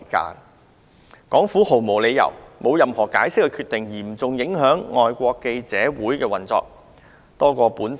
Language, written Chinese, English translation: Cantonese, 特區政府在毫無解釋的情況下作出決定，嚴重影響外國記者會的運作。, The SAR Governments decision which is not backed by any explanation has seriously affected the operation of FCC